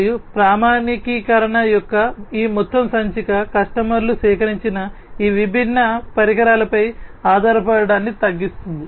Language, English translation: Telugu, And this whole issue of standardization will reduce the customers reliance on these different equipments that are collected